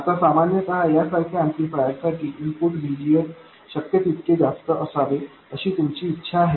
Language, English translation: Marathi, Now typically in an amplifier like this you would want the input resistance to be as high as possible